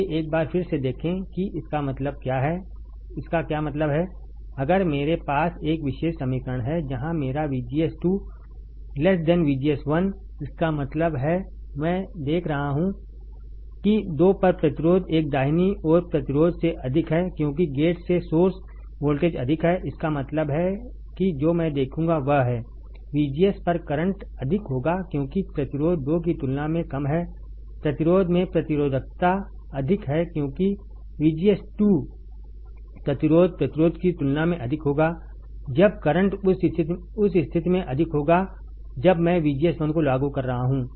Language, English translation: Hindi, Let us see once again what does that mean that, if I have this particular equation where my VGS 2 is less than VGS 1; that means, I see that the resistance at 2 is greater than resistance at one right, because the gate to source voltage is more; that means, that what will I see is current at VGS 1 would be higher because resistance at one is lower compared to resistance at 2 is higher that is resistance, because of VGS 2 resistance would be higher compared to resistance that is when the current would be higher in case where I am applying VGS 1 and when I am applying VGS 2 my current would be less you can see here from the graph also that for different value of VGS I have different value of current right this VDS since VGS is less than VGS 2